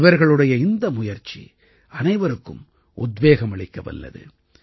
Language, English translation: Tamil, Their efforts are going to inspire everyone